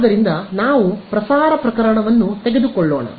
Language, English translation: Kannada, So, what is in let us take the transmitting case